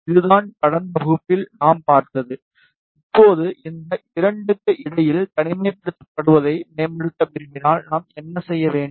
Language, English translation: Tamil, This is what we saw in the last class now if we want to improve the isolation between these 2 what do we need to do